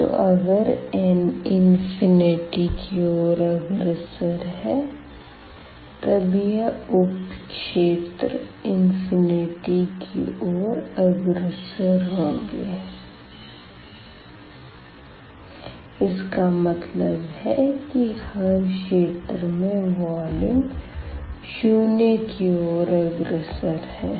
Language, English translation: Hindi, So, if we are letting this n goes to infinity then the sub regions will go to we infinity; that means, the volume of each sub region will go to 0